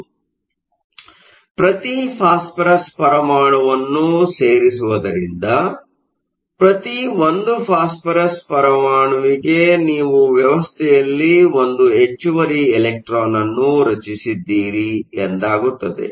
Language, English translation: Kannada, So, thus by adding phosphorous atoms for each phosphorous atom you have created one extra electron in the system